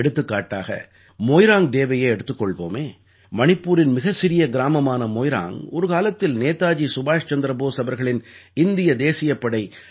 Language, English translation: Tamil, Now, take Moirang Day, for instance…the tiny town of Moirang in Manipur was once a major base of Netaji Subhash Chandra Bose's Indian National Army, INA